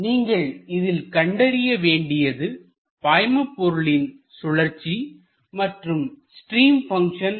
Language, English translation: Tamil, You have to find out the fluid rotation and the stream function